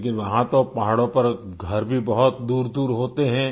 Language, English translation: Hindi, But there in the hills, houses too are situated rather distantly